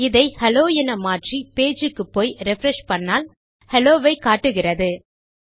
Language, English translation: Tamil, If I change this to hello and I went back to our page and refreshed, itll have the value hello